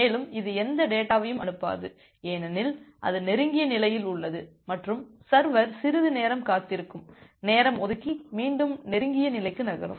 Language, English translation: Tamil, And, it will not send any more data because it is in the close state and the server will wait for some amount of time, get a time out and again move to the close state